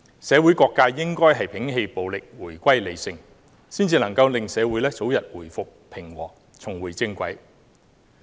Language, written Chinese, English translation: Cantonese, 社會各界應該摒棄暴力，回歸理性，這樣才可以令社會早日回復平和，重回正軌。, All sectors of society should abandon violence and return to reason . This is the only way for society to restore peace and return to the right track